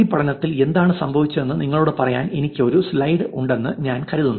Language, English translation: Malayalam, So the first one, I think I have one slide for a nudge to tell you what happened in this study